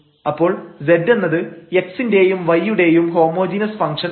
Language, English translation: Malayalam, So, z is a function of x and y